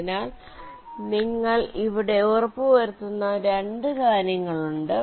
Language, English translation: Malayalam, so there are two things that you are just ensuring here